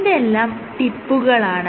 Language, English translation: Malayalam, So, these are tips